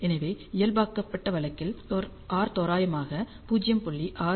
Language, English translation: Tamil, So, r is around 0